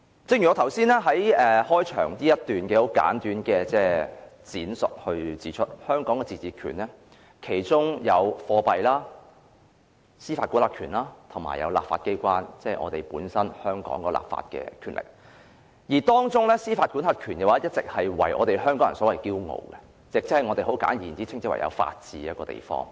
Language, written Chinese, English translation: Cantonese, 正如我剛才簡短闡述，香港的自治權有貨幣、司法管轄權及立法機關，即香港本身的立法權力，而當中司法管轄權令香港人引以自豪，我們稱香港為法治之地。, As I have just briefly stated Hong Kong autonomy is manifested in its monetary system jurisdiction and legislature and among them Hong Kong people take pride in our jurisdiction . We call Hong Kong a place governed by the rule of law and we place stress on procedures